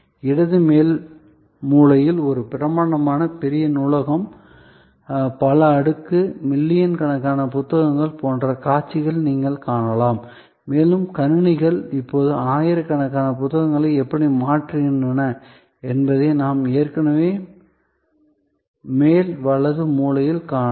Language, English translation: Tamil, So, on the left upper corner you see the view of a grand traditional library, multi storied, millions of books and we can also already see on the top right hand corner, how computers are now replacing thousands of books